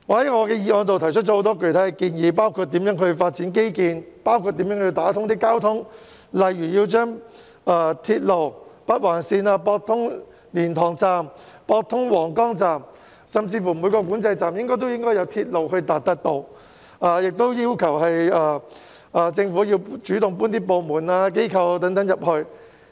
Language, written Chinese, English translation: Cantonese, 我在議案中提出了許多具體建議，包括如何發展基建和貫通交通，例如以鐵路的北環綫駁通蓮塘及皇崗口岸，甚至每個管制站都應該有鐵路接駁，亦要求政府主動將其部門和機構遷進新界北。, I have put forward many concrete suggestions in my motion including infrastructure development and the building of transportation networks . For example I have proposed that the Northern Link which is a rail link should be extended to Liantang and Huanggang Port or even every single control point . I have also requested the Government to take the initiative to relocate its departments and organizations to New Territories North